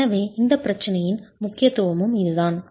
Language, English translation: Tamil, So that is the criticality of this problem itself